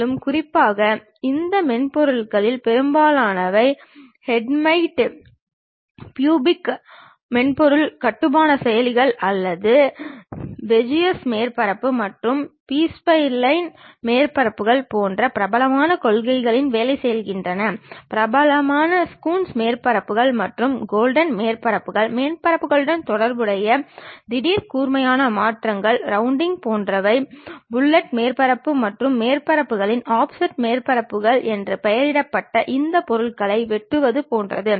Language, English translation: Tamil, And, especially most of these softwares work on basic principles like maybe going with hermite bicubic surface construction processors or Beziers surfaces or B spline surfaces something like, Coons surfaces which are popular or Gordon surfaces sudden sharp changes associated with surfaces, something like rounding of surfaces like fillet surfaces, something like chopping off these materials named offset surfaces